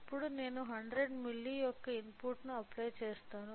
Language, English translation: Telugu, So, now, I will apply input of a 100 milli